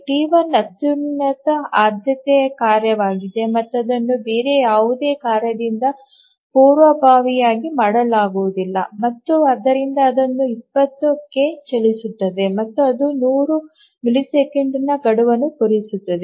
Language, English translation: Kannada, T1 is the highest priority task and it will not be preempted by any other task and therefore it will run for 20 and it will meet its deadline because the deadline is 100